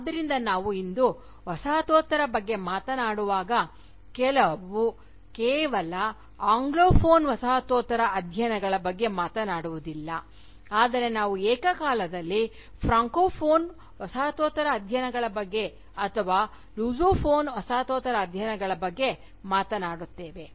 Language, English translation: Kannada, So, when we talk about Postcolonialism today, we talk not just of Anglophone Postcolonial studies, but we simultaneously talk about Francophone Postcolonial studies for instance, or Lusophone Postcolonial studies